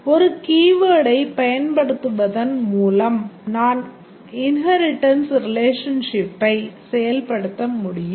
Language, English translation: Tamil, Just by using a keyword we can implement the inheritance relationship and then we are started to look at the association relationship